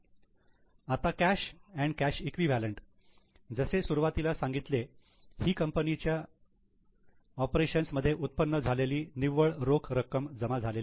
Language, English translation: Marathi, Now, cash and cash equivalents as at the beginning, net cash generated or used in operation